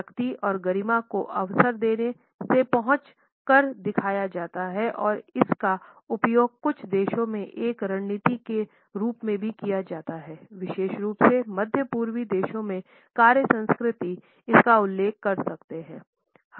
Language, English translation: Hindi, Power and dignity are often shown by arriving late and it is also used as a tactic in certain countries particularly we can refer to the work culture of the Middle Eastern countries